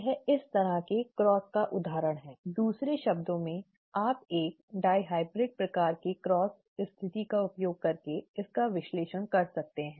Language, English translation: Hindi, This is an example of such a cross, okay, in other words you could analyse this using a dihybrid kind of, dihybrid cross situation